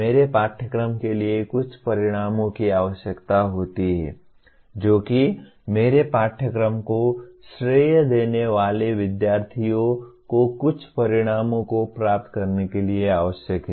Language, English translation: Hindi, My course is required to attain certain outcomes, that is students who are crediting my course are required to attain certain outcomes